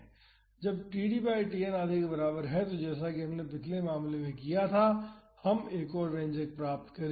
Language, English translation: Hindi, So, when td by Tn is equal to half as we did in the previous case we would derive the another expression